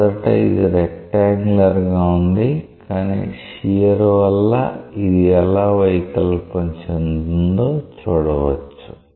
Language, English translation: Telugu, So, originally it was rectangular, but because of the shear you see that how it is getting deformed ok